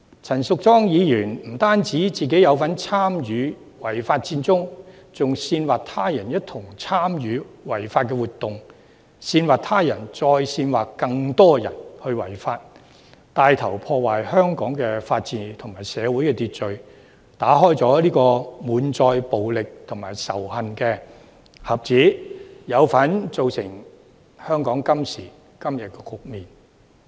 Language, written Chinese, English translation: Cantonese, 陳淑莊議員不單參與違法佔中，更煽惑他人一同參與違法活動，煽惑他人再煽惑更多人違法，牽頭破壞香港的法治和社會秩序，打開滿載暴力和仇恨的盒子，有份造成香港今時今日的局面。, Not only did Ms Tanya CHAN participate in the unlawful Occupy Central movement but she also incited others to participate in the unlawful activities and incited others to incite more people to commit offence . She has damaged the rule of law and public order in Hong Kong and opened Pandoras Box of violence and hate . She is one of those who have driven Hong Kong to the current state